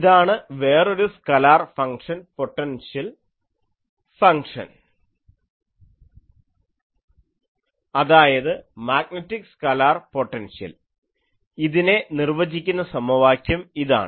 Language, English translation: Malayalam, So, this is another defining equation that another scalar function potential function I am saying, this is magnetic scalar potential